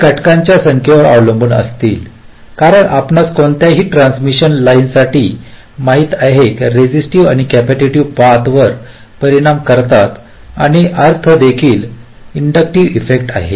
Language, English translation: Marathi, they will depend on number of factors because, you know, for any transmission line there will be resistive and the capacitive affect along the path, and means also inductive effects